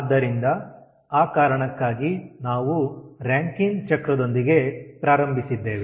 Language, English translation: Kannada, so in that connection we have started with rankine cycle